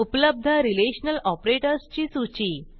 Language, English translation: Marathi, Here is a list of the Relational operators available